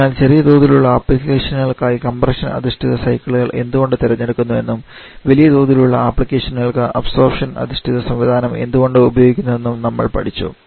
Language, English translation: Malayalam, So, we know that why do we prefer the compression based cycles for small scale application of small to large scale application and absorption system more preferred for large scale applications